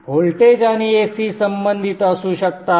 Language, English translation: Marathi, The voltage and AC can be related